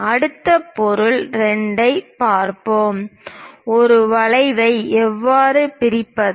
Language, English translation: Tamil, Let us look at next object 2; how to bisect an arc